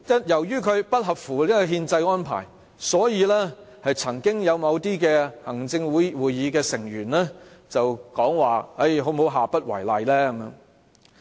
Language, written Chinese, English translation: Cantonese, 由於它不合乎憲制安排，所以曾經有某行政會議成員建議下不為例。, For reasons of its unconstitutionality an Executive Council Member once suggested that it must not be treated as a precedent case